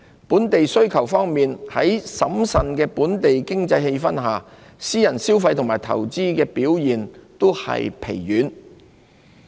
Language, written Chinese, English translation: Cantonese, 本地需求方面，在審慎的本地經濟氣氛下，私人消費及投資表現均疲軟。, In respect of domestic demands private consumption and investment were both subdued amid cautious sentiment prevalent in the Hong Kong economy